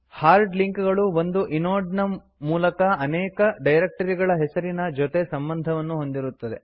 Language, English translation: Kannada, Hard links are to associate multiple directory entries with a single inode